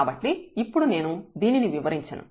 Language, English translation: Telugu, So, in I am not going to explain this now